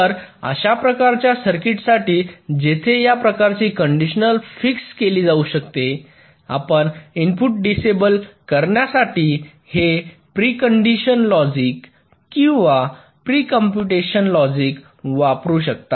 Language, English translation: Marathi, so for any kind of circuit where this kind of condition can be determined, you can use this pre condition logic or pre computation logic to selectively disable the inputs